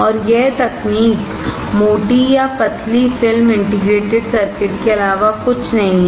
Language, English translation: Hindi, And this technology is nothing but thick or thin film integrated circuit